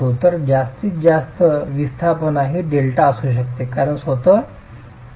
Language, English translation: Marathi, So, the maximum displacement could be delta acting because of the deformation of the wall itself